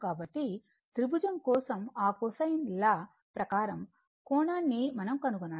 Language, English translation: Telugu, So, we have to find out the angle that you have to go for that cosine law for the triangle